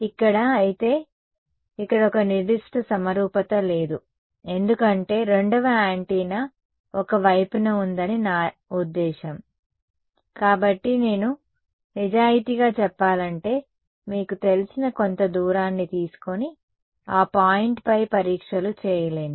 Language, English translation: Telugu, Here, however, there is a certain symmetry is missing over here, because I mean the second antenna is on one side, so I cannot in good I mean being honest, I cannot take some you know distance a apart and do testing on that point